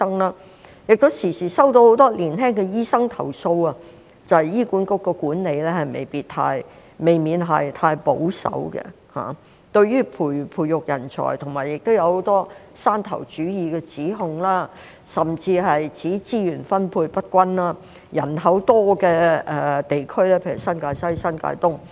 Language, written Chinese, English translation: Cantonese, 我亦時常收到很多年輕的醫生投訴，指醫管局的管理未免太保守，對於培育人才方面，亦有很多山頭主義的指控，甚至指資源分配不均，人口多的地區，人口遠遠多於港島，但資源卻趕不上。, I often receive complaints from many young doctors alleging that the management of HA is too conservative; there are also many allegations of mountain - stronghold mentality in the nurturing of talents and even allegations of uneven resource distribution . The population in the highly populated areas is much larger than that on the Hong Kong Island but the resources there cannot catch up with the population